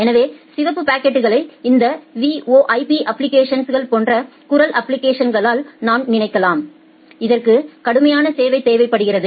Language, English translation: Tamil, So, you can think of the red packets as the voice applications like this VoIP applications, which require strict quality of service